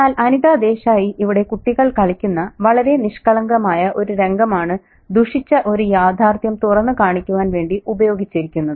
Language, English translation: Malayalam, But Anita Deza here, she uses a very, apparently, very innocent scene of children playing to reveal a more sinister reality